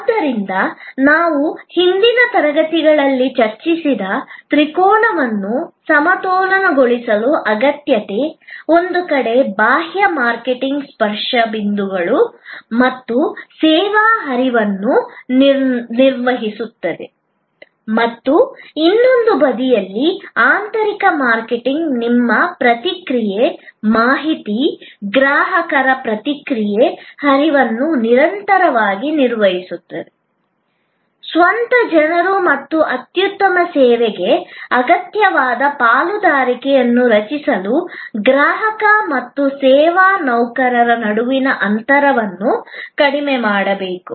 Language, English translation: Kannada, So, this need of balancing the triangle which we had discussed in a previous session, on one side external marketing managing the touch points and the service flow and on the other side internal marketing managing the flow of feedback, information, customer reaction continuously to your own people, bridge the gap between the consumer and the service employees to create the partnership which is essential for excellent service